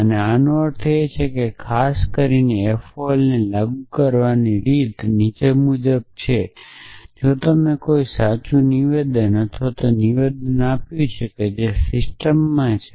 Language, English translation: Gujarati, And what this means is that in particular it the way it applies to F O L is as follows that if you gave a true statement or statement which is entailed to the system